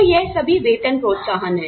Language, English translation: Hindi, So, all of these, are the pay incentives